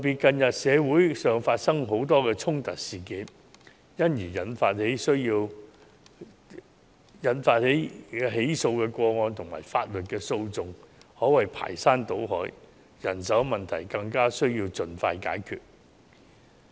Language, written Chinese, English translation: Cantonese, 近日社會發生許多衝突事件，因而引起的起訴個案及法律訴訟可謂排山倒海，人手問題更加需要盡快解決。, Conflicts have recently occurred in our society and the prosecution cases and legal proceedings arising from these conflicts have been overwhelming; thus the manpower problem needs to be solved as soon as possible